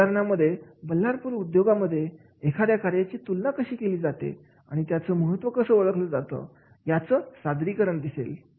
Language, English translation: Marathi, These example presents that how Ballapur industries compare the merits and significance of one of the job vis a vis another is there